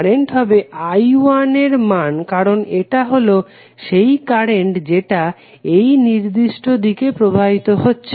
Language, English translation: Bengali, Current would be essentially the value of I 1 because this is the current which is flowing from this particular site